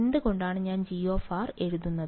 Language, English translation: Malayalam, Why I am writing G of r